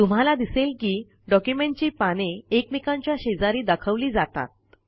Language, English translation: Marathi, You see that the pages are displayed in side by side manner